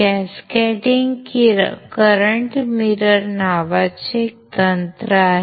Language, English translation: Marathi, So, what can we do, we can use cascaded current mirror